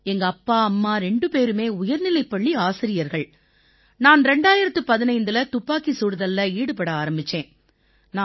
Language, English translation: Tamil, Both my parents are high school teachers and I started shooting in 2015